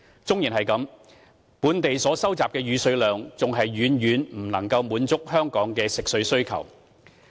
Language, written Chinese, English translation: Cantonese, 縱使如此，本地所收集的雨水量還是遠遠不能滿足香港的食水需求。, Nevertheless the quantity of stormwater collected locally is far from meeting the need for fresh water in Hong Kong